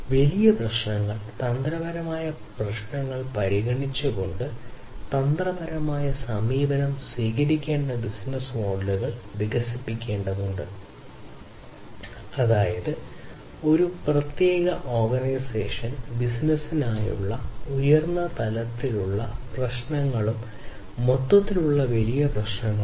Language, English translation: Malayalam, So, business models are have to be developed which should take the strategic approach by considering the bigger issues the strategic issues; that means, high level issues for a particular organization business and the greater issues overall